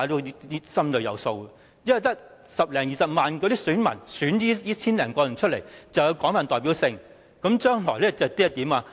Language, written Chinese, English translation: Cantonese, 原因是，只是由十多二十萬名選民選出這千多人，就是有廣泛代表性，將來會怎樣？, The reason is that if these 1 000 - odd people who are just elected by 100 000 to 200 000 people are broadly representative then what about the future?